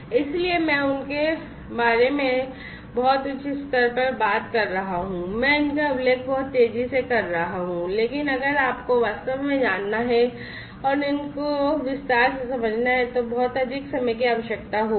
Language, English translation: Hindi, So, I am talking about these in a very high level you know quite fast I am mentioning these, but if you really have to go through and understand these in detail a lot more time will be required